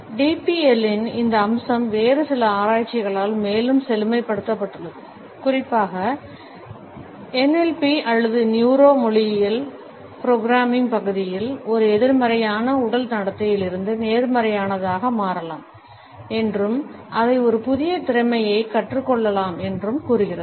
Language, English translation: Tamil, This aspect of DBL has further been enriched by certain other researches, particularly in the area of NLP or Neuro Linguistic Programming which suggest that we can shift from a negative body behaviour to a positive one and we can learn it as a new skill